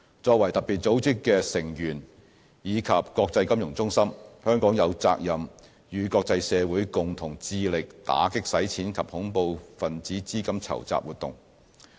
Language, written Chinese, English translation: Cantonese, 作為特別組織的成員及國際金融中心，香港有責任與國際社會共同致力打擊洗錢及恐怖分子資金籌集活動。, As a member of FATF and an international financial centre Hong Kong is duty - bound to join hands with the international community to strive to combat money laundering and terrorist financing activities